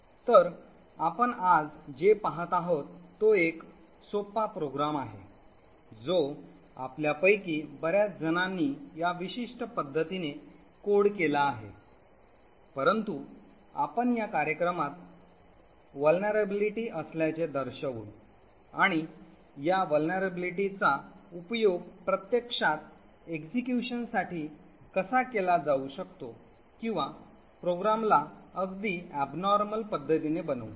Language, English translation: Marathi, So what we will be seeing today is a very simple program which many of us actually code in this particular way but we will actually demonstrate that there is a vulnerability in this program and we will show how this vulnerability can be used to actually subvert execution or make the program behave in a very abnormal way